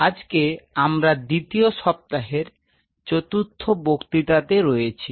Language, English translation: Bengali, So, today we are into the 4 th lecture of the second